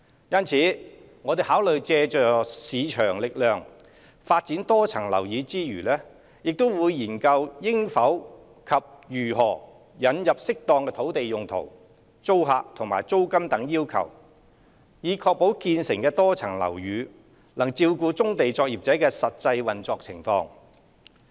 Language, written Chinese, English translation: Cantonese, 因此，我們考慮借助市場力量發展多層樓宇之餘，亦會研究應否及如何引入適當土地用途、租客和租金等要求，以確保建成的多層樓宇能照顧棕地作業者的實際運作情況。, Therefore when considering leveraging the use of market forces to develop MSBs we will also study whether and how to introduce appropriate conditions such as land user restriction tenant selection and rental requirements to ensure that the commissioned MSBs can cater for the actual operation of brownfield industries in future